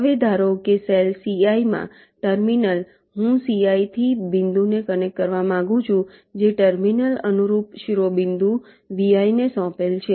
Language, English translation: Gujarati, right now a terminal in cell c i suppose i want to connect ah point from c i, the terminal is assigned to the corresponding vertex v i